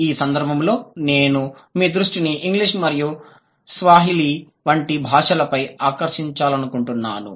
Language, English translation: Telugu, So, in this connection I would like to draw your attention to languages like English and Swahili